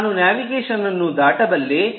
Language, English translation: Kannada, i could cross out navigation